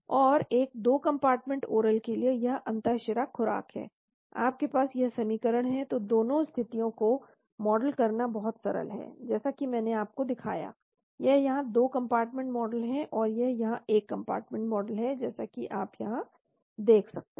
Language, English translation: Hindi, And for a 2 compartment oral, this is intravenous dose, you have this equation, so it is very simple to model both the situations as I have shown you, this is the 2 compartment model here, and this is the one compartment model here as you can see here